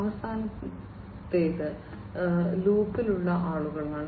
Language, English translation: Malayalam, The last one is people in the loop